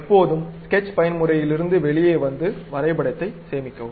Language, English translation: Tamil, Always come out of sketch mode, save the drawing